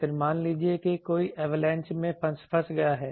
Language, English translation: Hindi, Then suppose someone is trapped under some avalanche